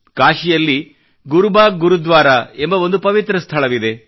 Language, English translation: Kannada, There is a holy place in Kashi named 'Gurubagh Gurudwara'